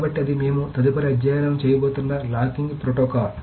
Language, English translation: Telugu, So that is the locking protocol that we are going to study next